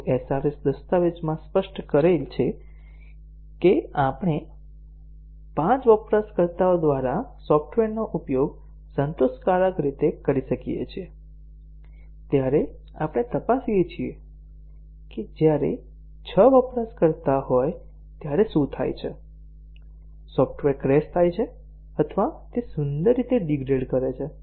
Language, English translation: Gujarati, If the SRS document specifies that we could the software could be used by 5 users satisfactorily, we check what happens when there are 6 users, does the software crash or does it gracefully degrade